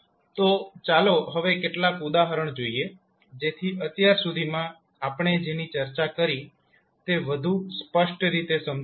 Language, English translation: Gujarati, So Nnow let’ us see few of the example, so that we can understand what we discuss till now more clearly